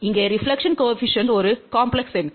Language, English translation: Tamil, Reflection Coefficient here is a complexed number